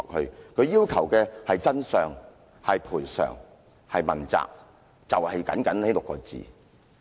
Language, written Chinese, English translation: Cantonese, 她們要求的是真相、賠償、問責，就僅僅這6個字。, They merely demand three things the truth compensation and accountability